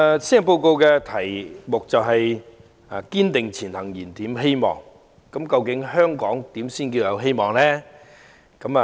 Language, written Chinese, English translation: Cantonese, 施政報告以"堅定前行燃點希望"為題，究竟香港如何才算是有希望呢？, The Policy Address is titled Striving Ahead Rekindling Hope . What hope is there for Hong Kong?